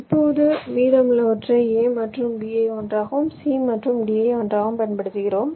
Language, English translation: Tamil, ok, now you use the rest, a and b together, c and d together